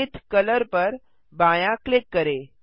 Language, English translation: Hindi, Left click Zenith colour